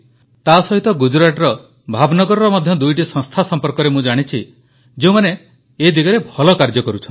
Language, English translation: Odia, Along with this I know two organisations in Bhav Nagar, Gujarat which are doing marvellous work